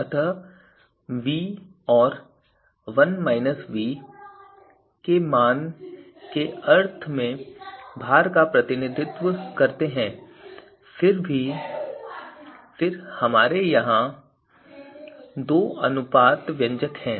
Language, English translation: Hindi, So v and 1minus v are representing a weight in a sense and then we have two ratio expressions here